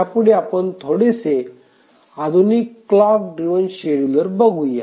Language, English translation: Marathi, Now let's look at slightly more sophisticated clock driven schedulers